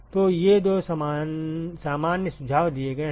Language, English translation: Hindi, So, these are the two general suggestions that is given